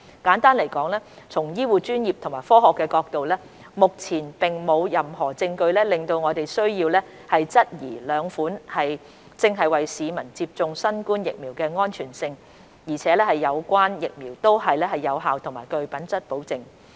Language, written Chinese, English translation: Cantonese, 簡單來說，從醫護專業及科學的角度，目前並沒有任何證據令我們需要質疑兩款正在為市民接種的新冠疫苗的安全性，而有關疫苗都是有效和具品質保證的。, Put in simple terms from the medical professional and science perspectives so far there is no evidence pointing to the need for us to cast doubt on the safety of the two COVID - 19 vaccines now made available to citizens . The relevant vaccines are effective and of good quality